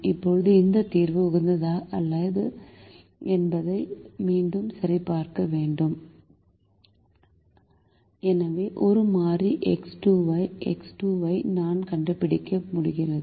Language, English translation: Tamil, now again we need to check whether this solution is optimum or the best solution